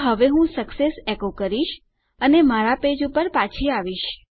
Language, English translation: Gujarati, So now what Ill do is echo out success and Ill go back to my page